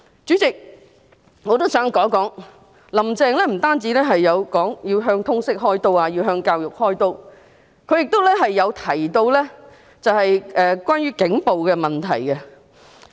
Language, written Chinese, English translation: Cantonese, 主席，我也想談談，"林鄭"不止說過要向通識和教育"開刀"，她亦曾提到警暴的問題。, Chairman another point I wish to make is that Carrie LAM did not only talk about targeting LS and education . She also mentioned the issue of police brutality